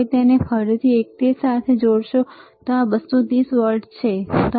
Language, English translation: Gujarati, Now he will again connect it to the same one, this is 230 volts, all right